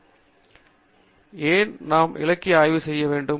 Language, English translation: Tamil, Okay So, why do we want to do literature survey at all